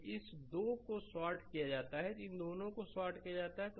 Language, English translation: Hindi, So, this two are shorted these two are shorted